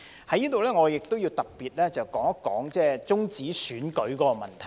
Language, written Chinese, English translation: Cantonese, 在這裏，我亦要特別說說終止選舉的問題。, Here I would like to talk about the termination of election in particular